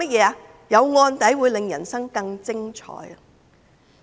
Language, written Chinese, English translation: Cantonese, 他說有案底會令人生更精彩。, He said a criminal record can make ones life more wonderful